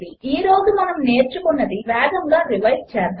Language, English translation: Telugu, Lets revise quickly what we have learnt today